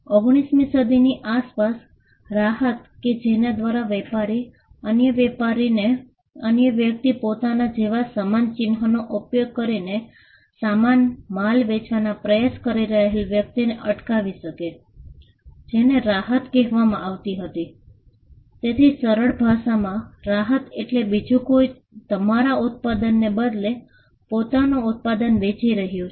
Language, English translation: Gujarati, Around the 19th century the relief by which a trader could stop another person, who was trying to sell similar goods using a similar mark like that of the trader was through a relief called, the relief of passing off passing off simply means somebody else is passing off their product as yours